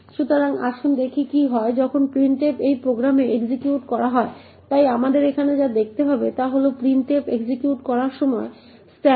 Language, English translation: Bengali, So, let us look at what happens when printf is executing in this program, so what we need to look at over here is the stack when printf executes